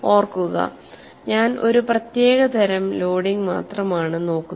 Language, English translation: Malayalam, Here we are looking only at a particular type of loading